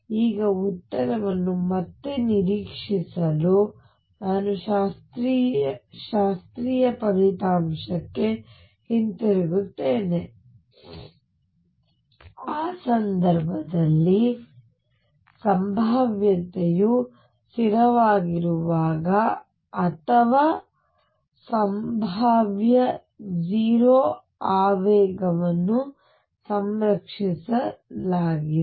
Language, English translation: Kannada, Now to anticipate the answer again I go back to the classical result that in the case when the potential is constant or potential is 0 momentum is conserved